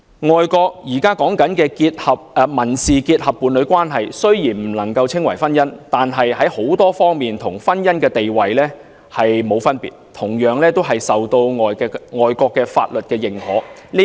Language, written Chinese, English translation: Cantonese, 外國現時的民事結合伴侶關係雖然不能夠稱為婚姻，但各方面與婚姻地位無異，同樣受到外國的法律認可。, Although the current civil union partnership in foreign countries cannot be called a marriage it is not different from the status of marriage in all respects and is likewise recognized by law in those foreign countries